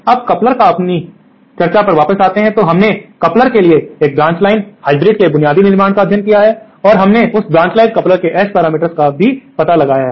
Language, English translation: Hindi, Now, coming back to our discussion on couplers, so we have studied the basic construction of the coupler of a branch line hybrid and we have also found out the S parameter matrix of that branch line coupler